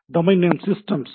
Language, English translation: Tamil, Domain Name Systems